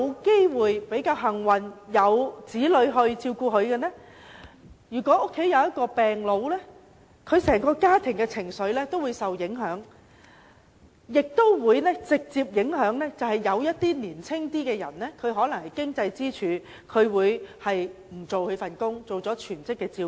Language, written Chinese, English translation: Cantonese, 他們或許幸運地有子女照顧，但如果家有一名病老，整個家庭的情緒也會受影響，甚至直接影響較年青、是經濟支柱的家庭成員，他們要放棄工作擔當全職照顧者。, They may luckily have children to take care of them . Yet for families with an elderly patient the emotion of the family as a whole will be affected . In fact this may even directly affect younger family members who are the breadwinners of the family for they may have to give up working to take care of the elderly patient full - time